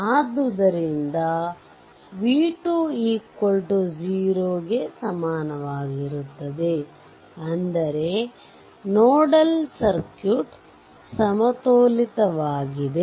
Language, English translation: Kannada, So, v 2 is equals to 0 right 0 potential; that means, nodal circuit is balanced right